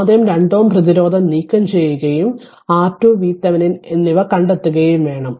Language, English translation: Malayalam, So, we have to take it off first 2 ohm resistance right and you have to find out R Thevenin and V Thevenin